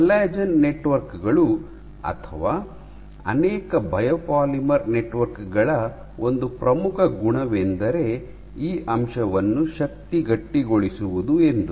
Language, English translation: Kannada, So, one of the important properties of collagen networks or many biopolymer networks is this aspect called stiffening, strength stiffening